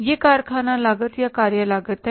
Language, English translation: Hindi, This is the factory cost or the works cost